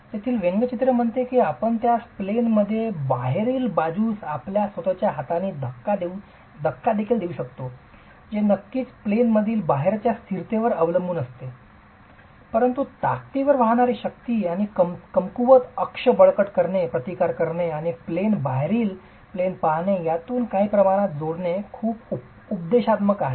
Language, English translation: Marathi, The cartoon there says you can even push it with your own hand in the out of plane direction which of course depends on the stability in the out of plane direction but it's very instructive to simply plug in some numbers to the strong axis and weak axis bending strength bending resistances and look at in plane versus out of plane is there significant difference between the resistance available in masonry